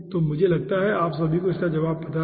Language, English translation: Hindi, okay, so i think all of you know the answer